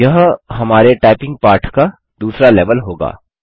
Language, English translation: Hindi, This will be the second level in our typing lesson